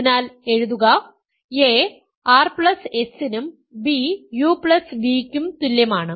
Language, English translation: Malayalam, So, write a is equal to r plus s b is equal to u plus v